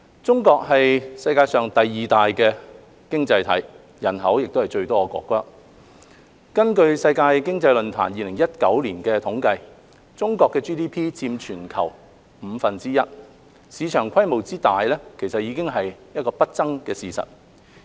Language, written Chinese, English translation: Cantonese, 中國是世界上第二大的經濟體，亦是人口最多的國家，根據世界經濟論壇2019年的統計，中國的 GDP 佔全球約五分之一，市場規模之大已是不爭的事實。, China is the second largest economy in the world with the largest population . According to the statistics of the World Economic Forum in 2019 Chinas GDP accounts for around one - fifth of the worlds GDP and the size of the market is indisputable